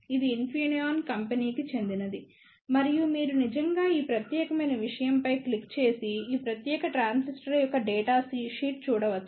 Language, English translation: Telugu, It is available for Infineon Company and you can actually click on this particular thing and see the data sheet of this particular transistor